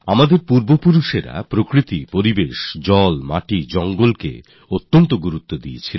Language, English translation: Bengali, Our forefathers put a lot of emphasis on nature, on environment, on water, on land, on forests